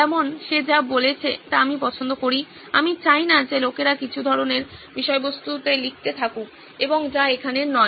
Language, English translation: Bengali, Like I like what he said, that I do not want people to keep writing some kind of content and does not belong here